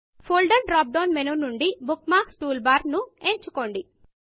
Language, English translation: Telugu, From the Folder drop down menu, choose Bookmarks toolbar